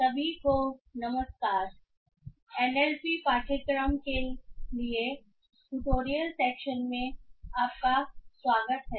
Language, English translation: Hindi, Hello everyone, welcome to the tutorial section for the NLP course